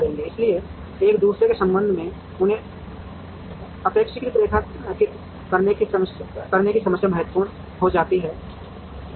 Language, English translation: Hindi, So the problem of relatively locating them with respect to each other becomes significant